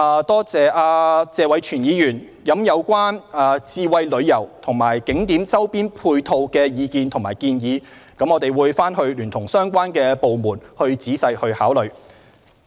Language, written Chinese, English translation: Cantonese, 多謝謝偉銓議員就智慧旅遊和景點周邊配套提出的意見和建議，我們會聯同相關部門仔細考慮。, Thanks to Mr Tony TSE for his views and suggestions on smart tourism and ancillary facilities around scenic spots . We will consider them carefully together with the relevant departments